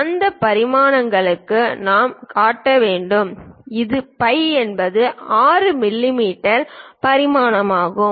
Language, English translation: Tamil, For that dimensions we have to show, it is phi is 6 millimeters of dimension